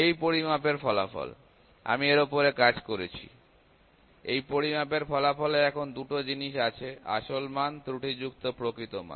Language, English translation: Bengali, This measurement result; however, I worked on this thing this measurement results as two things now; it has the value original value the true value plus error